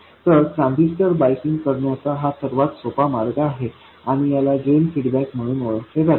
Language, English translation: Marathi, So, this is the most basic way of biasing a transistor and this is known as Drain Feedback